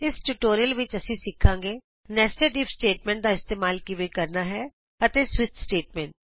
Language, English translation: Punjabi, In this tutorial we will learn , How to use nested if statement